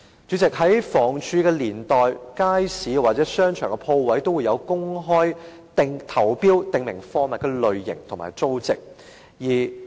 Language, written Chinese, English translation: Cantonese, 主席，在房屋署的年代，街市或商場的鋪位都會進行公開投標，訂明貨物的類型和租值。, President during the era when the Housing Department HD was in charge open tenders would be conducted for the stalls in markets or shop units in shopping arcades stating clearly the types of goods to be offered and the rental value